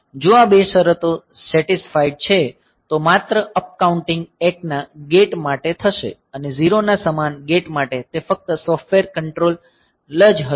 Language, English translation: Gujarati, So, if these two conditions are satisfied, then only the upcounting will take place for gate equal to 1 and for gate equal to 0 it will be only the software control